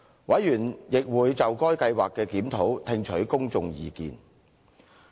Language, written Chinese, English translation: Cantonese, 委員亦會就該計劃的檢討聽取公眾意見。, Members would receive public views on the review of the Scheme